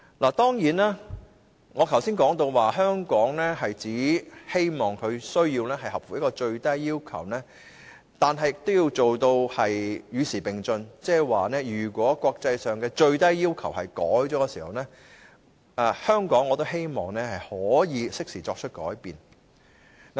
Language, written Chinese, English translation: Cantonese, 我剛才提到，希望香港只須符合最低要求，但我們也要做到與時並進，即是當國際上的最低要求有所改變時，香港亦會適時作出改變。, Earlier on I said that Hong Kong is only required to meet the minimum requirements but we are also bound to keep abreast of the times and that is whenever there are changes in the minimum requirements imposed by the international community Hong Kong should also change accordingly in a timely manner